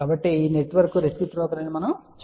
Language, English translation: Telugu, So, we can say that this network is reciprocal